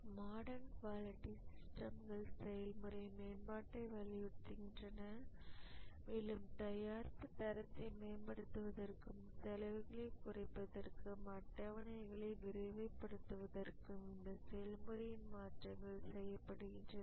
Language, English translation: Tamil, The modern quality systems emphasize on process improvement and here the changes are made to the process to improve the product quality, reduce costs and accelerate the schedules